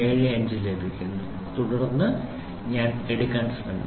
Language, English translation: Malayalam, 750 then I try to take